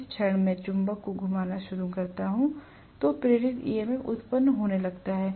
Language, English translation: Hindi, The moment I start rotating the magnet am going to get induced DMF